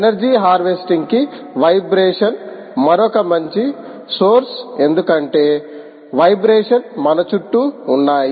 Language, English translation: Telugu, vibration is another potentially good source for ah energy harvesting, because vibrations are all over us, all around us